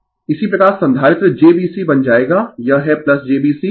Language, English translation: Hindi, Similarly, capacitor will become jB C it is plus right jB C equal to 1 upon X C